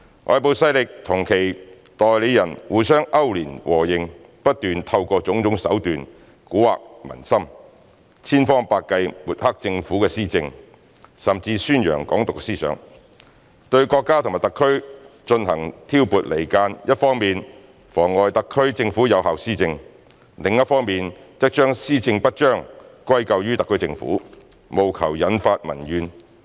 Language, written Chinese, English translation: Cantonese, 外部勢力與其代理人互相勾聯、和應，不斷透過種種手段蠱惑民心，千方百計抹黑政府施政，甚至宣揚"港獨"思想，對國家和特區進行挑撥離間，一方面妨礙特區政府有效施政，另一方面則將施政不彰歸咎於特區政府，務求引發民怨。, By colluding and siding with their agents foreign forces have racked their brains to smear the administration of our Government by using every possible means to confuse people continuously . They even advocated the idea of Hong Kong independence and sowed discord between our country and HKSAR . On the one hand they hindered the effective governance of the SAR Government and blamed it for ineffective governance on the other in a bid to provoke public grievances